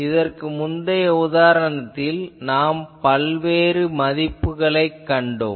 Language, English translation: Tamil, And in the previous example, we have seen various those values that